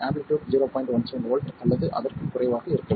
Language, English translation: Tamil, 17 volts or 3